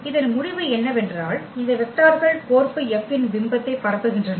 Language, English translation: Tamil, So, that is the result we have now that these are the vectors which span the image F